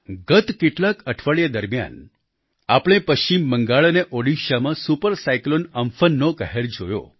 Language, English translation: Gujarati, During the last few weeks, we have seen the havoc wreaked by Super Cyclone Amfan in West Bengal and Odisha